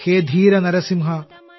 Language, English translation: Malayalam, O brave Narasimha